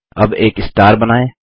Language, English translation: Hindi, Next, let us draw a star